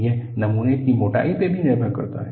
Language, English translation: Hindi, It depends on thickness of the specimen also